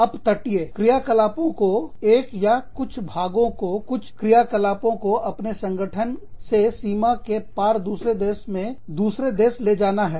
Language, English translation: Hindi, Off shoring is, taking the operations, taking one part or some operations, of your organization, to another country, across the border